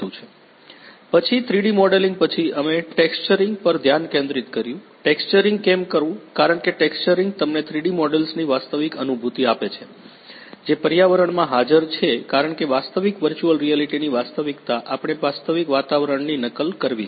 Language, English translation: Gujarati, Then after the 3D modelling we focused on the texturing; why texturing because texturing gives you the real feeling of the 3D models that are present in the environment because real virtual reality in the virtual reality we have to mimic the real environment